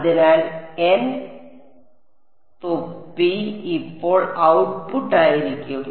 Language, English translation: Malayalam, So, n hat will be the output now